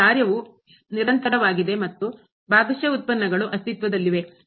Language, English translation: Kannada, So, the function is continuous and the partial derivatives exist